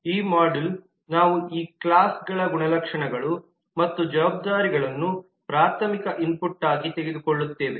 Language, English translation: Kannada, in this module, we take these classes attributes and responsibilities as primary input